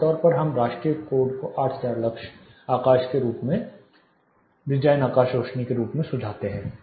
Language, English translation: Hindi, Typically we take national codes suggests around 8000 lux as design sky illuminance